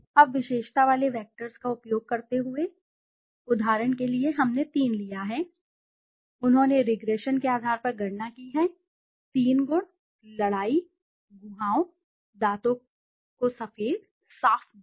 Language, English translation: Hindi, Now using the attribute vectors, for example we have taken three, they have calculated on bases of regression, 3 attributes, fight cavities, whitens teeth, clean stains